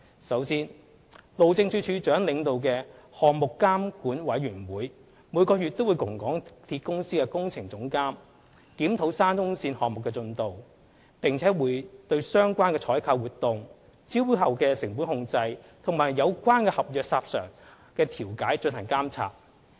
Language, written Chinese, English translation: Cantonese, 首先，路政署署長領導的項目監管委員會每月與港鐵公司的工程總監檢討沙中線項目進度，並對相關採購活動、招標後的成本控制和有關合約申索的調解進行監察。, In the first tier the Project Supervision Committee led by the Director of Highways holds monthly meetings with the Projects Director of MTRCL to review the progress of the SCL project as well as monitoring procurement activities post - tender award cost control and resolution of contractual claims